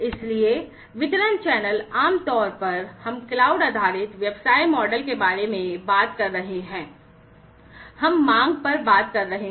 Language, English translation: Hindi, So, distribution channels typically, we are talking about in a cloud based business model, we are talking about on demand